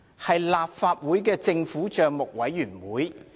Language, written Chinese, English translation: Cantonese, 是立法會政府帳目委員會。, It was the Public Accounts Committee PAC of the Legislative Council